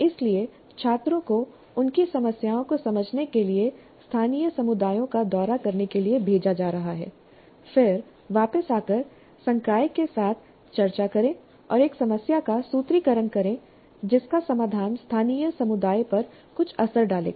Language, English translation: Hindi, So the students are being sent to visit the local communities to understand their problems, then come back and discuss with the faculty and come out with a formulation of a problem whose solution would have some bearing on the local community